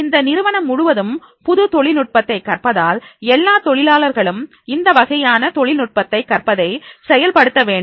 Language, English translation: Tamil, If a whole organization is learning the new technology, all employees are supposed to demonstrate that particular style of the learning of the technology